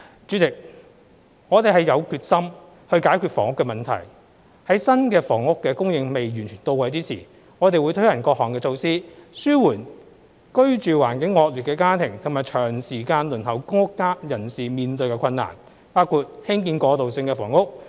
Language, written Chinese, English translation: Cantonese, 主席，我們是有決心解決房屋問題，在新房屋供應仍未完全到位之時，我們會推行各項措施，紓緩居住環境惡劣的家庭及長時間輪候公屋人士面對的困難，包括興建過渡性房屋。, President we are determined to solve the housing problems . Before the new housing supply is fully in place we will implement various measures to relieve the hardship of the households in poor living conditions and people who have been waiting for PRH for a prolonged period of time including the construction of transitional housing units